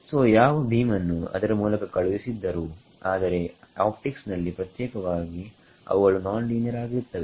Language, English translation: Kannada, So, might a what beam as sent through it, but in optics particularly they are there are non linearity